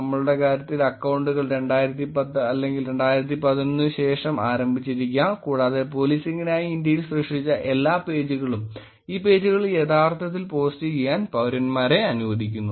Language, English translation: Malayalam, In our case the accounts have probably started after 2010 or 2011 and all the pages that are created in India for using for policing allows citizens to actually post on these pages